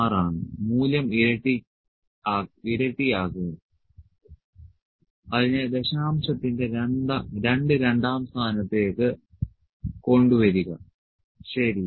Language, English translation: Malayalam, 6, double the value is while just bring the two second place of decimal, ok